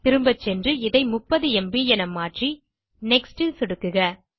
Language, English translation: Tamil, I will go back and change this to 30 MB and click on NEXT